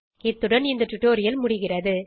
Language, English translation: Tamil, This bring to the end of this tutorial